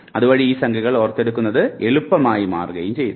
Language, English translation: Malayalam, So, if I have to recollect the number it becomes very easy for me